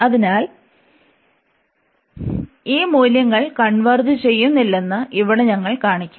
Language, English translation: Malayalam, So, here we will show now that this integral does not converge, and this is a bit involved now